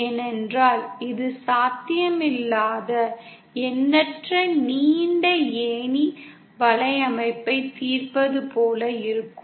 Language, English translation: Tamil, Because it will be like solving an infinitely long ladder network which is not possible